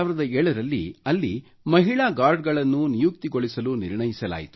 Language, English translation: Kannada, In 2007, it was decided to deploy female guards